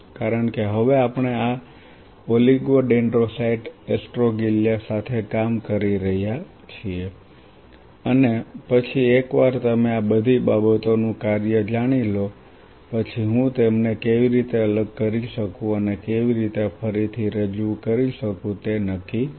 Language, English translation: Gujarati, So, what I will do in this class after giving you this brief idea because now we are dealing with this oligodendrocyte astroglia and then once you know the function of all these things I will be defining how one can separate them out and how can one reintroduce all these things into the system